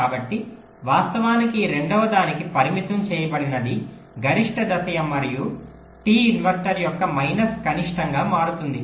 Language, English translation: Telugu, so actually, for this second one, the constrained will become max step plus minus minimum of t inverter